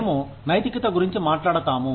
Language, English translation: Telugu, We talk about morality